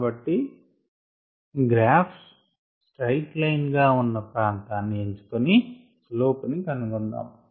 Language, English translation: Telugu, so we choose the region where this graph is a straight line and then take this slope of it